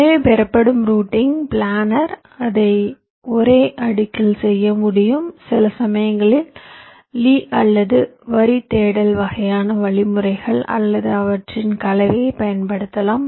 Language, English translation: Tamil, so the routing that you get is planner in the sense that you can do it on the same layer and sometimes to get the path you can use either lees or line search kind of algorithms or a combination of them